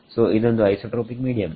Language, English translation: Kannada, So, it is an isotropic medium